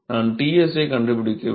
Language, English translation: Tamil, I need to find Ts